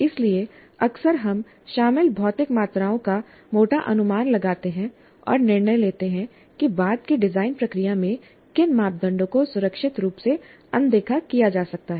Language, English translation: Hindi, So often we make rough estimates of the physical quantities involved and make a judgment as to which parameters can be safely ignored in the subsequent design process